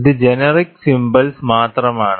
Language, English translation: Malayalam, It is only generic symbol